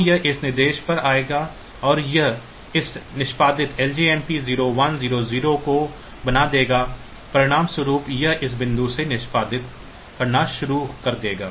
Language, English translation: Hindi, So, it will come to this instruction and it will make this executed LJMP 0 1 0 0 as a result it will start executing from this point onwards